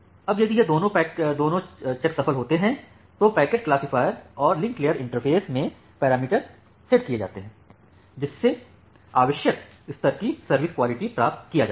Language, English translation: Hindi, Now, if this both checks succeed then the parameters are set in the packet classifier, and in the link layer interface to obtain the desired level of quality of service